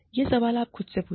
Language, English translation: Hindi, Ask yourself, this question